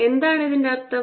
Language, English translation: Malayalam, what does this mean